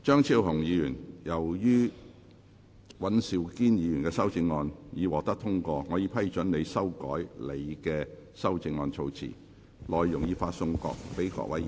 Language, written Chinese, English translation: Cantonese, 張超雄議員，由於尹兆堅議員的修正案獲得通過，我已批准你修改你的修正案措辭，內容已發送各位議員。, Dr Fernando CHEUNG as the amendment of Mr Andrew WAN has been passed I have given leave for you to revise the terms of your amendment as set out in the paper which has been issued to Members